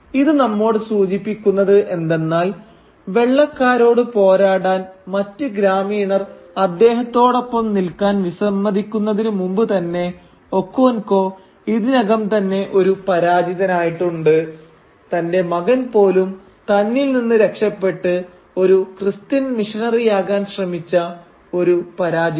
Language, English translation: Malayalam, Now this brings us to a realisation that Okonkwo, even before the other villagers refused to stand by him to fight the white man, has already become a defeated man a man from whom even his son tries to escape and become a Christian missionary